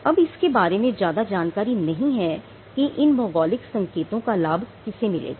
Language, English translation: Hindi, Now, there is not much idea in Who will be the beneficiary of a geographical indication